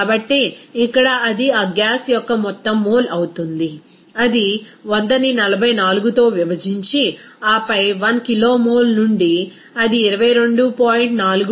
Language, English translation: Telugu, So, here it will be total mole of that gas that is 100 divided by 44 and then since 1 kilomole you know that will occupy 22